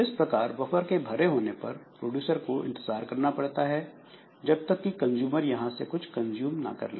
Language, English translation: Hindi, So, that is how this buffer, if the buffer is full then the producer is made to wait till the consumer has consumed something